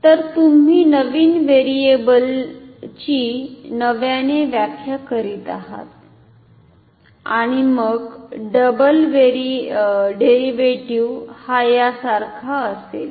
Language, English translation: Marathi, So, you are redefining a very new variable and then the double derivative of it will be same as this ok